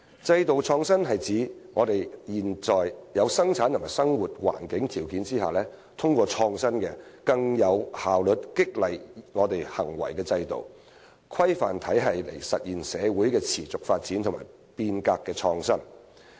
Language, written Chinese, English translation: Cantonese, 制度創新是指在現有的生產和生活環境條件下，通過創新的、能更有效激勵人們行為的制度或規範體系，來實現社會持續發展和變革的創新。, Institutional innovation refers to the realization of the sustainable development and reform of society through a regime or normative system that is innovative and capable of more effectively stimulating peoples behaviour under the existing production and living conditions